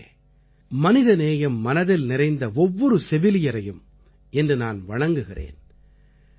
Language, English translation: Tamil, Friends, today I salute the embodiment of humanity…the Nurse